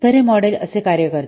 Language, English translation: Marathi, So this model works like this